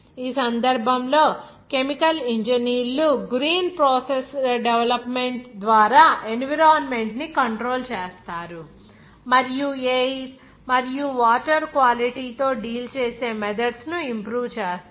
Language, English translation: Telugu, In this case, chemical engineers control the environment both through the development of green processes and improve methods of dealing with air and water quality